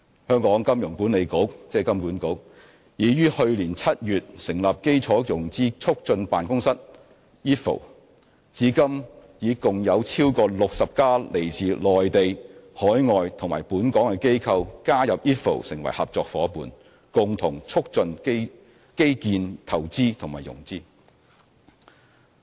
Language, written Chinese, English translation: Cantonese, 香港金融管理局已於去年7月成立基建融資促進辦公室，至今已共有超過60間來自內地、海外及本港的機構加入 IFFO 成為合作夥伴，共同促進基建投資及融資。, Since the establishment of the Infrastructure Financing Facilitation Office IFFO by the Hong Kong Monetary Authority HKMA in July last year a total of over 60 Mainland overseas and local organizations have so far joined IFFO as partners in facilitating infrastructure investments and their financing